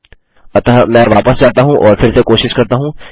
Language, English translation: Hindi, So, let me go back and try this again